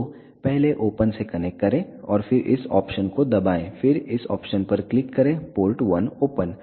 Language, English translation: Hindi, So, first connect with open and then press this option then click on this option port 1 open